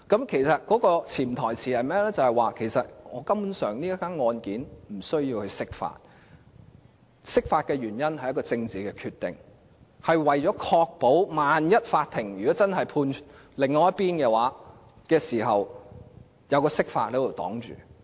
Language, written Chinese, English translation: Cantonese, 其實潛台詞便是這宗個案根本無須釋法，釋法的原因是政治決定，是為了確保萬一法庭真的判另一邊勝訴時，還有釋法擋住。, In fact the unspoken words in the verdict were that there was simply no need for an interpretation concerning the case that the reason for the interpretation was a political decision and that the interpretation could block the ruling just in case the court ruled that the other side won the case